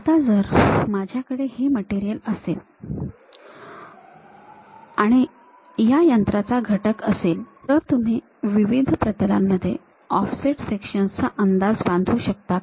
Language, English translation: Marathi, Now, if I have this material, if I have this machine element; can you guess offset section at different planes